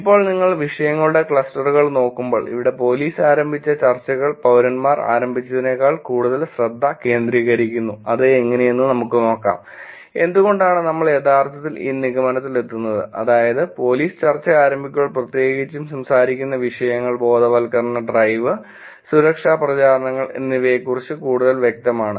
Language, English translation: Malayalam, Now, when you look at the Clusters of Topic, here when police initiated discussions are more focused than citizen initiated, let us see how; and why we are actually making this conclusion which is, when police starts the discussion it is more specific about topics, awareness drive, safety campaigns which is specifically talking about